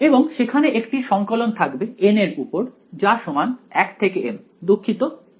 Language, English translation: Bengali, And there is going to be a summation over small n is equal to 1 to m capital N sorry